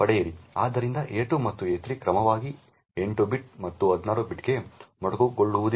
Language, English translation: Kannada, So not that a2 and a3 get truncated to 8 bit and 16 bit respectively